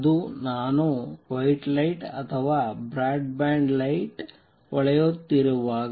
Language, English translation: Kannada, When I am shining white light or a broad band light right